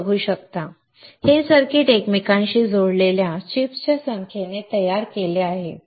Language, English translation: Marathi, As you can see, this circuit is fabricated by interconnecting number of chips